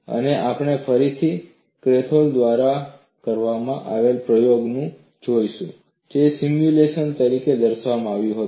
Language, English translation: Gujarati, And we will again look at the experiment done by Kalthoff, which was shown as the simulation here